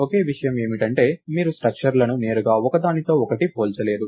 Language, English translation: Telugu, The only thing is you cannot compare structures directly with each other